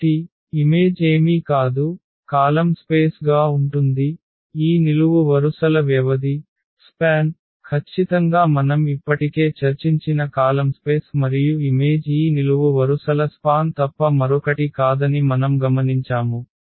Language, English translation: Telugu, So, the image is nothing but image is nothing but the column the column space the column spaces exactly the span of these columns that is the column space we have already discussed and what we have observed that the image is nothing but the span of these columns